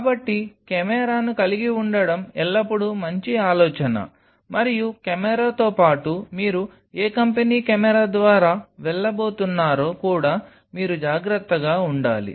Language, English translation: Telugu, So, it is always a good idea to have the camera and with the camera also you have to be careful which company’s camera you are going to go through